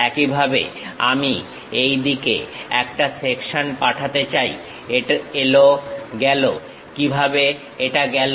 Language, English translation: Bengali, Similarly, I would like to pass a section in this way, comes goes; how it goes